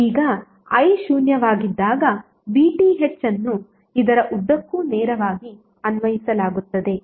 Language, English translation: Kannada, Now when current i is zero the VTh would be applied straightaway across this